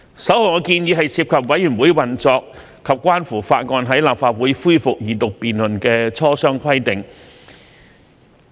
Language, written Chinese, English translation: Cantonese, 首項建議涉及委員會運作及關乎法案在立法會恢復二讀辯論的磋商規定。, The first proposal concerns the operation of committees and consultation requirement for resumption of Second Reading debate on a bill in the Council